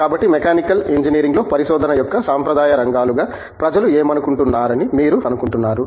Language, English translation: Telugu, So, what do you think what people would think as traditional areas of research in Mechanical Engineering